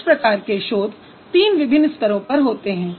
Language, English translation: Hindi, So, and this kind of a research is generally done in three different levels